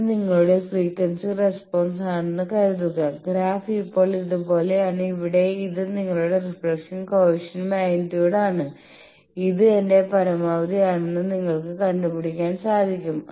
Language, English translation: Malayalam, Suppose this is your frequency response the graph is like this now here this is your reflection coefficient magnitude you can find out i will fix that this is my maximum